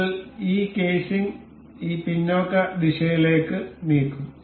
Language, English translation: Malayalam, We will move this casing in this backward direction